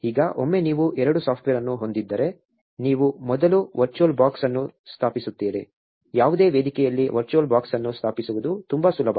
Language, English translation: Kannada, Now, once you have both the software, you first install virtual box; it is very easy to install virtual box on any platform